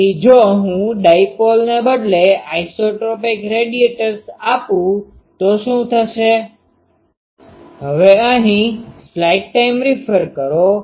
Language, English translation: Gujarati, So, what will be if you do that instead of dipole if I give the isotropic radiators